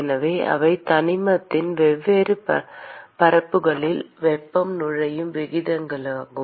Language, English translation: Tamil, So those are the rates at which heat is entering different surfaces of the element